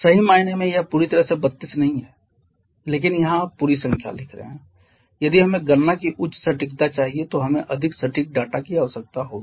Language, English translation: Hindi, Truly speaking it is not a perfectly 32 but here you are writing the whole number we need more precise data if we want higher accuracy of calculation